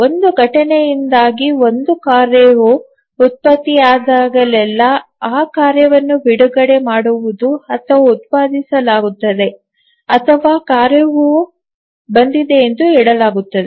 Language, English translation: Kannada, So whenever a task gets generated due to an event, we say that the task is released or is generated or we even say that task has arrived